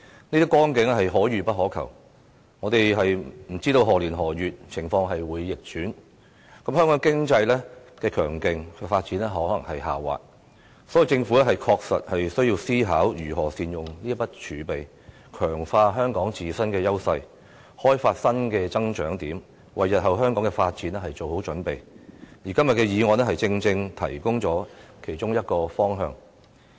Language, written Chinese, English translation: Cantonese, 這些光景是可遇不可求，我們不知道情況在何年何月會逆轉，香港強勁的經濟發展有可能下滑，因此，政府確實需要思考如何善用這筆儲備，強化香港自身的優勢，開發新的增長點，為日後香港的發展做好準備，而今天的議案正正提供了其中一個方向。, We do not know when they will change for the worse . The robust development of the Hong Kong economy may slow down . Therefore the Government indeed needs to contemplate how to make good use of such reserves to strengthen the competitive edges of Hong Kong and develop new areas of growth to prepare for the future development of Hong Kong